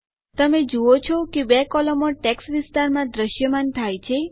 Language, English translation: Gujarati, You see that 2 columns get displayed in the text area